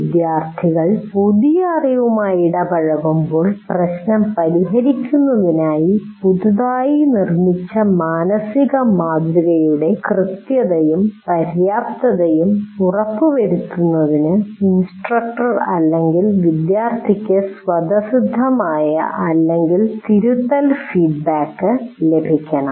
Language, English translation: Malayalam, And while the students are getting engaged with the new knowledge, the instructor or the student should receive either intrinsic or corrective feedback to ensure correctness and adequacy of their newly constructed mental model for solving the problem